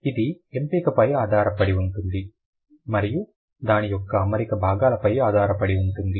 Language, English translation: Telugu, It depends on the choice and the arrangement of its parts